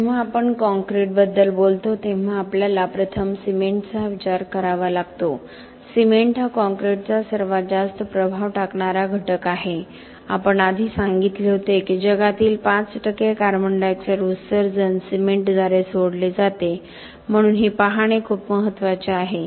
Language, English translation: Marathi, When we talk about concrete, we first have to think about cement, cement is the component of concrete which has the most impact we said before that 5 percent of the CO2 emissions in the world are given off by cement so it is very important look at cement closely and see how is that it is giving of so much CO2 emission, why is that we require so much energy